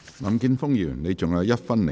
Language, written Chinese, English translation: Cantonese, 林健鋒議員，你還有1分1秒答辯。, Mr Jeffrey LAM you still have one minute one second to reply